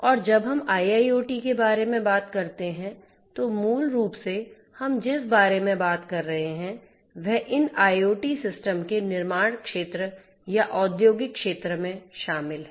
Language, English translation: Hindi, And when we talk about IIoT, basically what we are talking about is the incorporation of these IoT systems into the manufacturing sector or the industrial sector